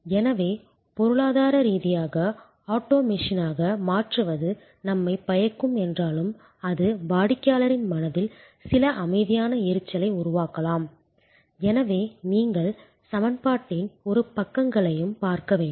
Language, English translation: Tamil, So, even though economically it may be beneficial to convert to auto machine, but it may create some silent irritation in customer's mind and therefore, you need to look at both sides of the equation